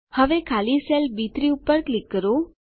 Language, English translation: Gujarati, Now, click on the empty cell B3